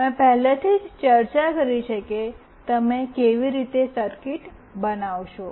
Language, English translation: Gujarati, I have already discussed how you will be making the circuit